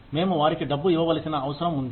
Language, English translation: Telugu, We need to give them money